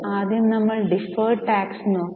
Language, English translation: Malayalam, Here we had seen deferred tax